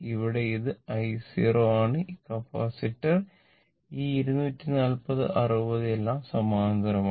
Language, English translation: Malayalam, Here, it is i 0 and this capacitor this 240 60 all are in parallel